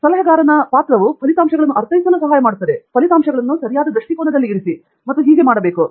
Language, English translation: Kannada, And also, the role of the advisor is to help you interpret the results, put the results in the right perspective and so on